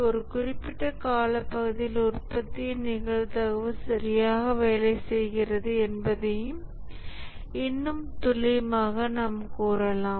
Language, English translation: Tamil, More accurately, you can say that the probability of the product working correctly over a given period of time